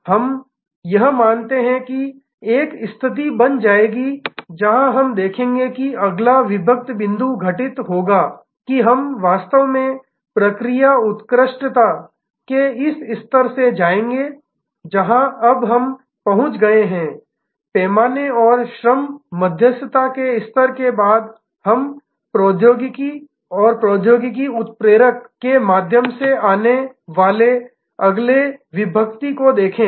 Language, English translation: Hindi, This we believe will lead to a situation, where we will see that the next inflection point will occur, that we will actually go from this level of process excellence, which we have reached now, after the scale and labor arbitrage level we will now, see the next inflection coming through technology catalyzation